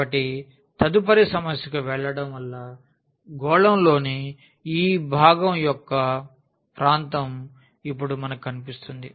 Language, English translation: Telugu, So, moving to the next problem we will find now the area of that part of the sphere